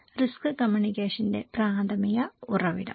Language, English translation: Malayalam, So, the primary source of risk communications